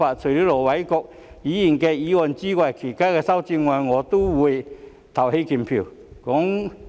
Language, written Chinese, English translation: Cantonese, 除了盧偉國議員的修正案外，對於其他修正案我都會投棄權票。, Except for the amendment of Ir Dr LO Wai - kwok I will abstain from voting on other amendments